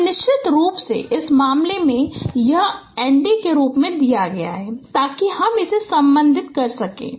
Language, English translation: Hindi, So in this case of course this is given in the form of n d so that we can relate it